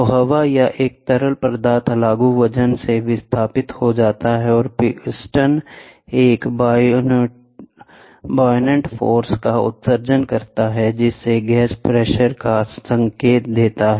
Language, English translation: Hindi, So, the air or a fluid displaced by the applied weight and the piston exerts a buoyant force, which causes the gas to indicate the pressure